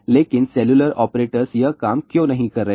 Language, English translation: Hindi, But why cellular operators are not doing this thing